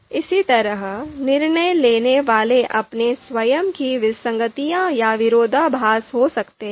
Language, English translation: Hindi, So similarly, decision makers they might have their own inconsistencies or contradiction